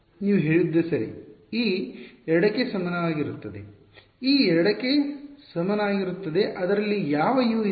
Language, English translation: Kannada, You are right e is equal to 2; e is equal to 2 has which Us in it